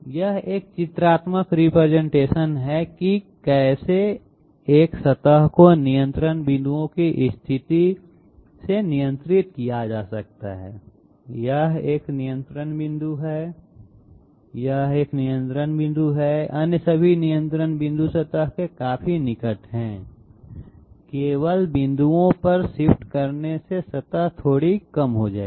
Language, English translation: Hindi, This is a pictorial representation of how a surface can be controlled by the position of the control points, this is one control point, this is one control point, all the other control points are quite near to the surface, just shifting to points will make the surface slightly undulated